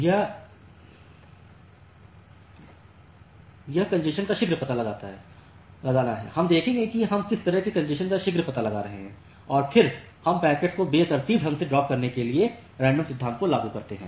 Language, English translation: Hindi, This early detection is early detection of congestion we will see how we are applying early detection of congestion and then we apply this random principle to randomly drop the packets